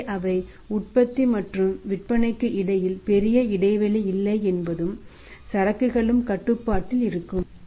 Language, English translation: Tamil, So it means they are not be big gap between the production and sales and inventory will also be under control